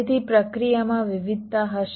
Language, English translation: Gujarati, so there will be process variations